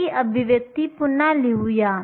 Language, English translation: Marathi, So, let me rewrite this expression